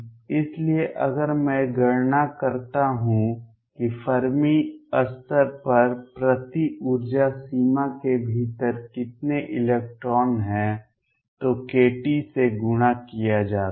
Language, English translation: Hindi, So, if I calculate how many electrons are there within per energy range on Fermi level multiplied by k t